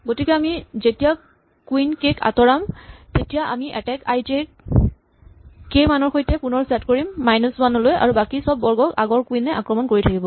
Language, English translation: Assamese, So, when we remove queen k we reset attack i j with value k to minus 1 and all other squares are still attacked by earlier queens